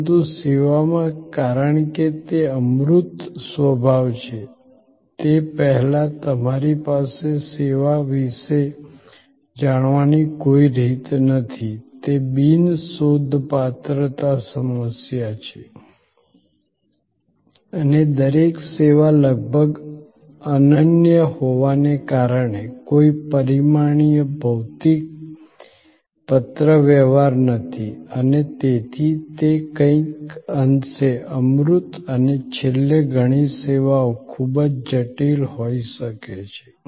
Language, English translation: Gujarati, But, in service because of it is intangible nature you do not have any way of knowing about the service before that is the non searchability problem and each service being almost unique there is no dimensionalized, physical correspondence and therefore, it becomes somewhat abstract and lastly many services can be quite complex